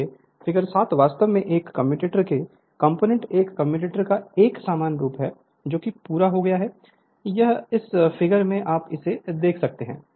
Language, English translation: Hindi, So, figure 7 actually components of a commutators is a general appearance of a commutator when completed it is showing here right this figure